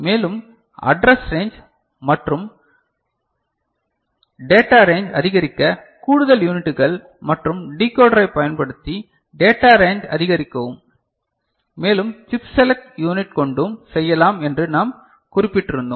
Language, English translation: Tamil, And further we had noted that address range and data range of memory can be expanded by using additional units and decoder for increasing the data range and also using chip select unit, together